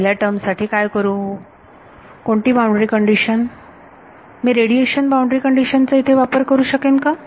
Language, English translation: Marathi, So, for the first term, what should I do, what can I do about the first term, what boundary condition, can I apply the radiation boundary condition here